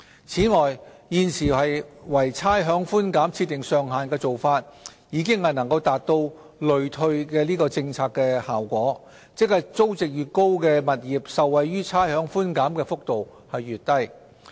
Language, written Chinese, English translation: Cantonese, 此外，現時為差餉寬減設定上限的做法，已能達致累退的政策效果，即租值越高的物業受惠於差餉寬減的幅度越低。, In addition the practice of setting a ceiling for rates concession can achieve a regressive effect of the policy that is the higher the rateable value of a property the smaller the magnitude of benefit arising from the rates concession